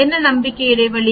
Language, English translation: Tamil, What is the confidence interval